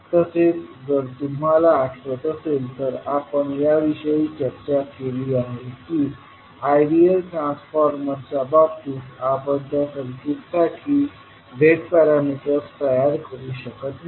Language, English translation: Marathi, So, if you recollect that we discussed that in case of ideal transformers we cannot create the z parameters for that circuit